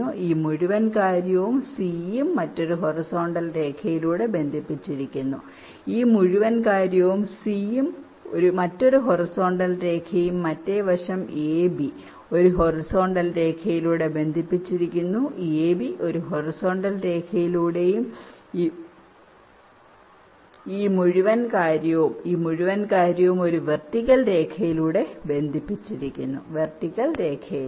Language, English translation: Malayalam, this whole thing, and c is connected by another horizontal line and the other side, a, b, is connected by horizontal line, a, b by horizontal line, this whole thing and this whole thing connected by a vertical line, this vertical line